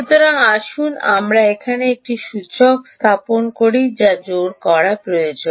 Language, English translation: Bengali, so let us put an inductor here which requires to be energized